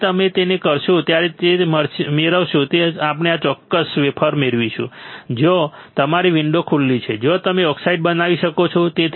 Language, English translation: Gujarati, When you do that what you will obtain we will obtain this particular wafer, where your window is open where you can grow the oxide